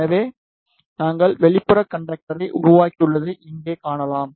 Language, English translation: Tamil, So, you can see here we have made outer conductor